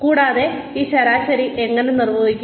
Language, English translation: Malayalam, And, how is this average being defined